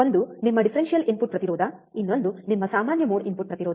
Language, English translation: Kannada, One is your differential input impedance, another one is your common mode input impedance alright